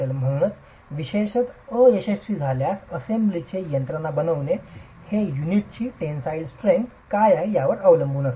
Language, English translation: Marathi, So, the mechanism formation in the assembly, particularly at failure, is determined by what is the tensile strength of the unit